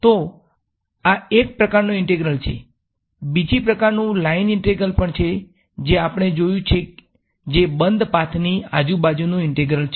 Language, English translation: Gujarati, So, this is one kind of integral, the other kind of line integral is also something which we have seen which is a integral around a closed path right